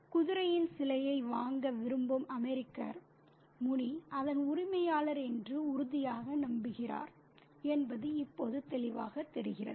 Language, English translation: Tamil, Now, it's very clear that the American who wants to buy the statue of the horse is convinced that Muni is the owner of it